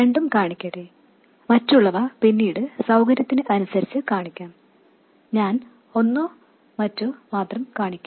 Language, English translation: Malayalam, Let me show both and later depending on convenience I will show only one or the other